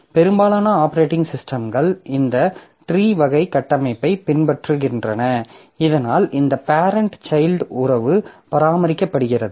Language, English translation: Tamil, So, most of the operating system they follow this type of tree type of structure so that this parent child relationship is maintained